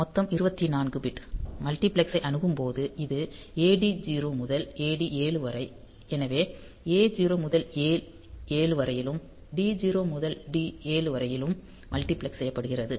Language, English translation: Tamil, So, total 24 bit; so when the multiplexed access this AD 0 to AD 7; so they are; so, A 0 to A 7 and D 0 to D 7 are multiplexed